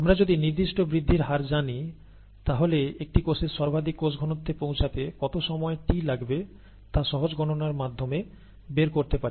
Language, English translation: Bengali, And if we know the specific growth rate apriori, this is a straight forward simple calculation to find out the time t that is needed to reach a given maximum cell a given cell concentration, okay